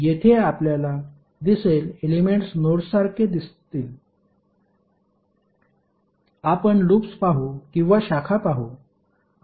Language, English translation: Marathi, Here the elements which you will see would be like nodes, we will see the loops or we will see the branches